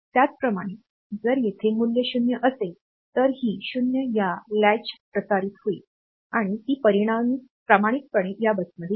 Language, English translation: Marathi, So, that way that 0 will get transmitted via this catch and it will be coming faithfully to this bus